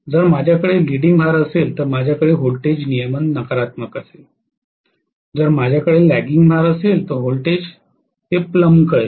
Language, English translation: Marathi, If I am going to have a leading load, I can have the voltage regulation to be negative, if I have a lagging load the voltage will plumbed it